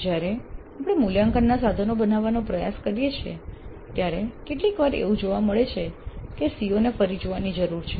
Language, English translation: Gujarati, When we try to create the assessment instruments, sometimes it is possible to see that the CO needs to be revisited